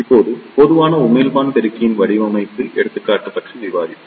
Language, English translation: Tamil, Now, we will discuss about the design example of common emitter amplifier